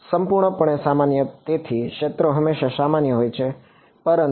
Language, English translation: Gujarati, Purely normal right so, the fields are always normal, but